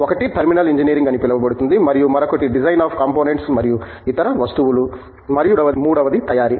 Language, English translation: Telugu, One is the so called Terminal Engineering and the other one is the so called Design of components and other things, and the third one is the Manufacturing